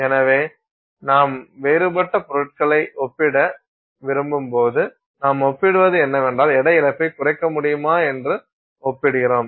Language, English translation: Tamil, So, when you want to compare different materials, essentially what you are comparing is you are running the test and you are comparing to see if you can to minimize weight loss